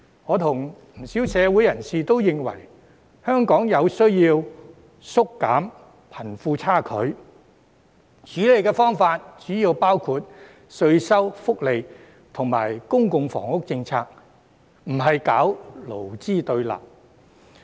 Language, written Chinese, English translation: Cantonese, 我和不少社會人士都認為，香港有需要縮減貧富差距，而處理方法主要包括稅收、福利及公共房屋政策，而非搞勞資對立。, Quite many community figures and I believe that it is necessary to narrow down the wealth disparity in Hong Kong and one way to handle this mainly encompasses policies on taxation social welfare and public housing rather than stirring up antagonism between employees and employers